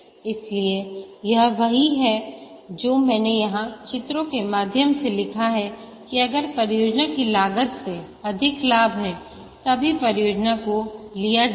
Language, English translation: Hindi, So this is what I have just pictorially written here that the benefits are more than the costs than the project is undertaken